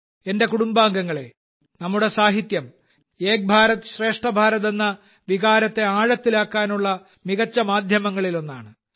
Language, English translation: Malayalam, My family members, our literature is one of the best mediums to deepen the sentiment of the spirit of Ek Bharat Shreshtha Bharat